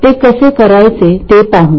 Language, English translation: Marathi, So, we will say how to do that